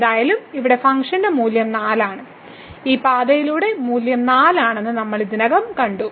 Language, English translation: Malayalam, And in any case here the value of the function is 4 and we have already seen along this path the value is 4